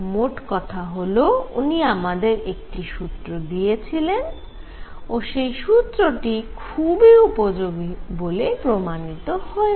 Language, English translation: Bengali, So, he gave a formula all right, and that formula turned out to be very good